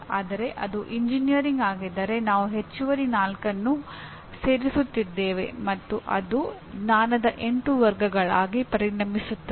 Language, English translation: Kannada, Whereas if it is engineering we are adding additional 4 and it becomes 8 categories of knowledge